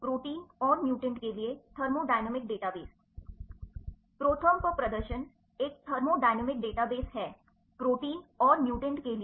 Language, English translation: Hindi, Demonstration on ProTherm is Thermodynamic Database for proteins and mutants